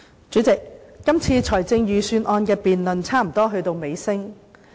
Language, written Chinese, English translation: Cantonese, 主席，這次財政預算案的辯論差不多到尾聲。, Chairman this debate on the Budget has almost reached the end